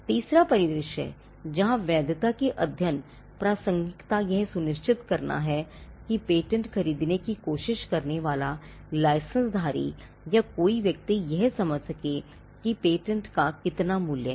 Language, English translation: Hindi, The third scenario where a validity study will be relevant is to ensure that licensee or a person who is trying to buy out patent can have an understanding on how much the patent is worth